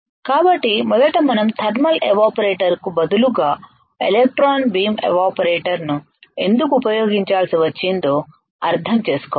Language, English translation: Telugu, So, first we should understand why we had to use electron beam operator instead of a thermal operator